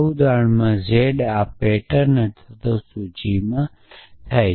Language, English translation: Gujarati, So, in this example z occurs in this pattern or list